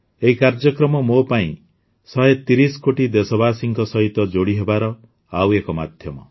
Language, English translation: Odia, This programmme is another medium for me to connect with a 130 crore countrymen